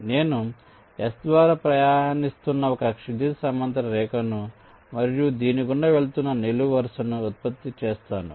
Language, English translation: Telugu, so i generate a horizontal line passing through s like this, and a vertical line passing through this